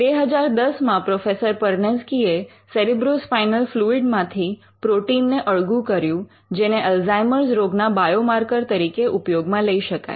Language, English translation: Gujarati, In 2010 Professor Perneczky isolated protein in cerebrospinal fluid that could be used as a biomarker for Alzheimer’s disease